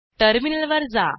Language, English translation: Marathi, Switch to the Terminal